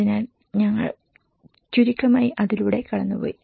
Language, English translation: Malayalam, So, this is we have just briefly gone through it